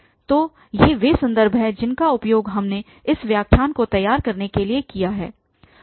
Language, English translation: Hindi, So, these are the references we have used for preparing this lecture